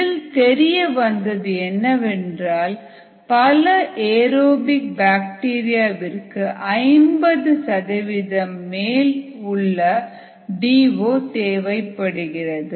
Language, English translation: Tamil, what is been found is that many aerobic bacteria need a d o above fifty percent to do well